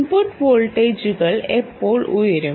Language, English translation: Malayalam, now, when will the input voltages go up